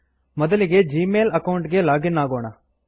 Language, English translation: Kannada, First, login to the Gmail account